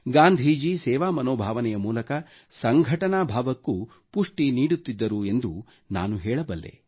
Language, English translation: Kannada, I can say that Gandhi emphasized on the spirit of collectiveness through a sense of service